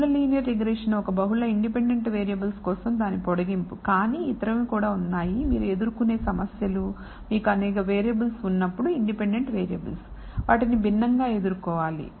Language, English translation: Telugu, Multiple linear regression is an extension of that for multiple independent variables, but there are other kinds of problems you may encounter, when you have several variables independent variables